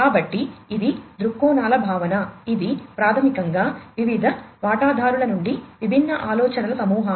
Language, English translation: Telugu, So, that is the concept of the viewpoints, which is basically a, a collection of different ideas from different stakeholders